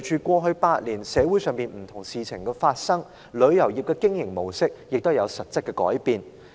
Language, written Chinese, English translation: Cantonese, 過去8年，隨着社會上發生不同的事情，旅遊業的經營模式也有實質的改變。, In the past eight years the mode of operation of the travel trade has undergone substantial changes in response to the various issues that have happened in society